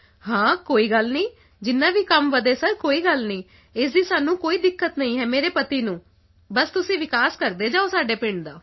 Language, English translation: Punjabi, It doesn't matter, no matter how much work increases sir, my husband has no problem with that…do go on developing our village